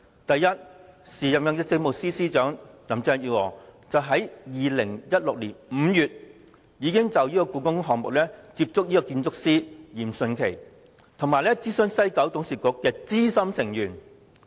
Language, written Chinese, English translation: Cantonese, 第一，時任政務司司長林鄭月娥於2016年5月，已經就故宮館項目接觸建築師嚴迅奇，以及諮詢西九董事局資深成員。, First back in May 2016 the then Chief Secretary Carrie LAM approached the architect Rocco YIM in relation to the HKPM project and consulted some senior members of WKCDA